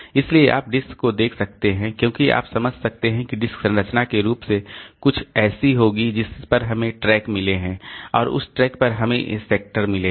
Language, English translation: Hindi, So, you can, so disk as you can understand that disk will be structurally something like this on to which we have got tracks and on the tracks we have got these sectors